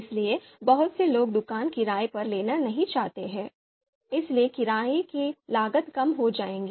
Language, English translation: Hindi, So not many people would be looking to rent a shop, so therefore the renting cost will come down